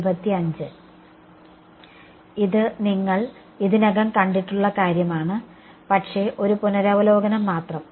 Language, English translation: Malayalam, This is the stuff which you have already seen, but just a revision